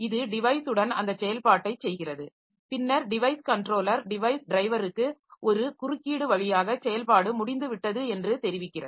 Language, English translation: Tamil, It does that operation with the device and then it informs the device controller device driver via and interrupt that the operation is over